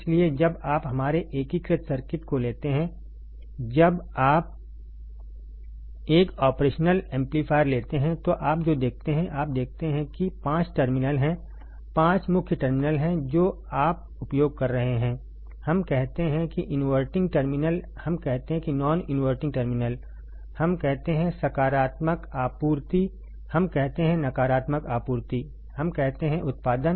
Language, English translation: Hindi, So, when you take our integrated circuit, when you take an operational amplifier, what you see do you see that there are five terminals, five main terminals what you will be using, we say inverting terminal, we say non inverting terminal, we say positive supply, we say negative supply, we say output